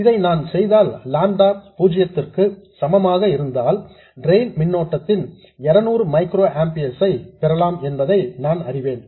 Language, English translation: Tamil, If I do this, I know that if I assume lambda equal to 0, I get a drain current of 200 microamperors